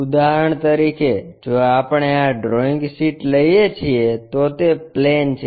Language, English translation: Gujarati, For example, if we are taking this drawing sheet, it is a plane